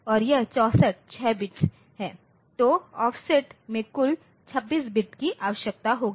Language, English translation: Hindi, So, total 26 bits of offset will be necessary